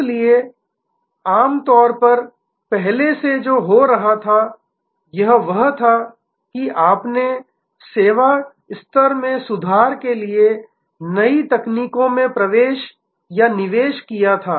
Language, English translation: Hindi, So, normally earlier what was happening was that you invested in new technologies for improving the service level